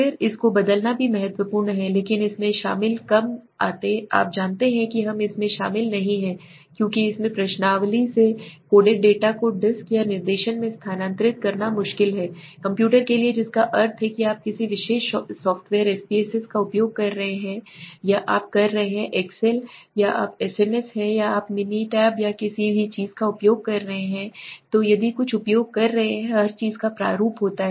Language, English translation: Hindi, Then transcribing this is also important but less involved you know we are less involved in it because it involves the transferring the coded data from the questionnaire into disks or directed to the computer that means what suppose you are using a particular software SPSS or you are excel or you are sas or you are using a minitab or anything so if you are using something then everything has the format